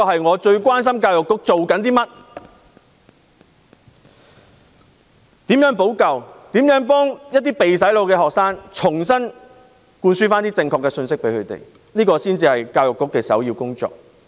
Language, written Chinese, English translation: Cantonese, 我最關心教育局在做甚麼、如何補救、如何向被"洗腦"的學生重新灌輸正確的信息，這才是教育局的首要工作。, I am most concerned about what the Education Bureau has done how it will remedy the situation and how it will instil correct information to students who have been brainwashed . This is the first priority of the Education Bureau